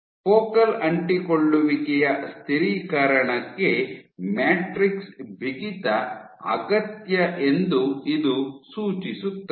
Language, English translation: Kannada, So, this suggests that matrix stiffness is necessary for focal adhesion stabilization